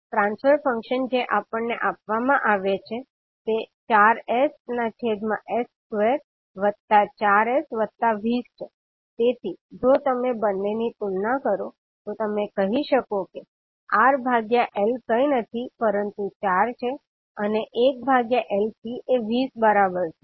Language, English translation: Gujarati, The transfer function which is given to us is 4s upon s square plus 4s plus 20, so if you compare both of them you can simply say that R by L is nothing but equal to 4 and 1 by LC is equal to 20